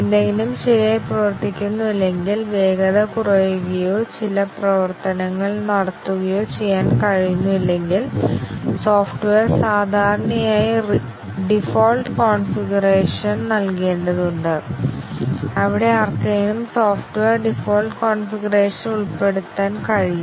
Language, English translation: Malayalam, If something does not work properly, the speed degrades or certain actions cannot be carried out, then the software typically need to provide default configurations, where somebody can put the software into default configuration